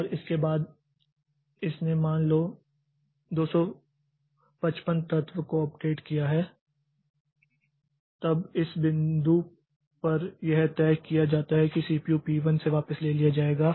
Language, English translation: Hindi, And this after it has updated for say 255 elements then at this point it is decided that the CPU will be taken back from P1